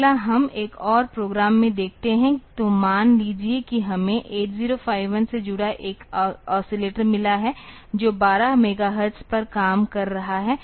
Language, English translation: Hindi, Next we look into another program; so, suppose we have got an oscillator connected to that 8051 that is operating at 12 megahertz